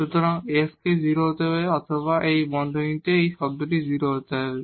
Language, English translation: Bengali, So, either x has to be 0 or this term in this bracket has to be 0